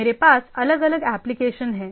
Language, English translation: Hindi, So, I have different applications